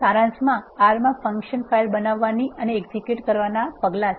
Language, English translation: Gujarati, In summary these are the steps in creating a function file in R and executing